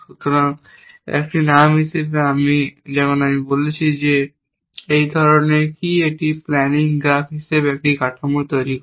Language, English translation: Bengali, So, as a name, as I, as I said what these types is it construct a structure called a planning graph and then searches in the structure for a plan